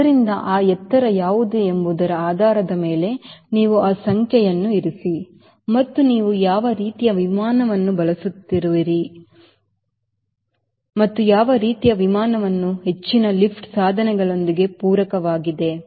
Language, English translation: Kannada, so, depending upon what is the altitude you put that number and depending upon what sort of aircraft you are using and what sort of that aircraft is complemented with high lift devices